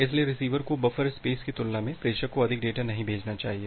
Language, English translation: Hindi, So, the sender should not send more data compared to the receiver buffer space